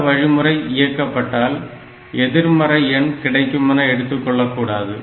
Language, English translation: Tamil, So, it should not take that if I do this I will get a negative of a number